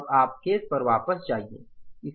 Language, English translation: Hindi, Now you go back to the case